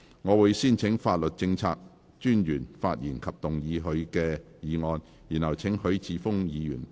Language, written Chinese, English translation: Cantonese, 我會先請法律政策專員發言及動議他的議案，然後請許智峯議員發言。, I will first call upon the Solicitor General to speak and move his motion . Then I will call upon Mr HUI Chi - fung to speak